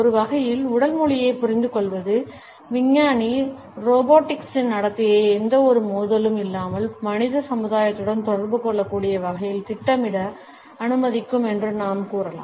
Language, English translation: Tamil, In a way, we can say that the understanding of body language would allow the scientist to program the behaviour of robotics in a manner in which they can interact with human society without any conflict